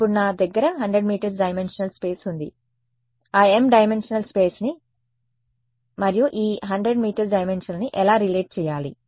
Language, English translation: Telugu, Now I have 100 m dimensional space how do I relate that m dimensional space and this 100 m dimensional space